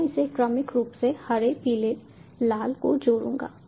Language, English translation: Hindi, i will just connect these sequentially: green, yellow, red